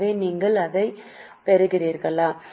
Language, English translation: Tamil, So, are you getting it